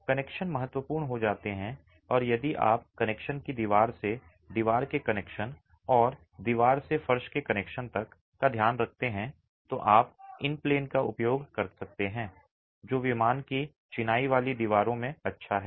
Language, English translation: Hindi, The connections become critical and if you take care of connections, wall to wall connections and wall to floor connections, then you can harness the in plain, the good in plain resistance that masonry walls have